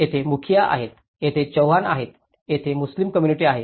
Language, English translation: Marathi, There is a mukhiyas, there is chauhans and there is a Muslim community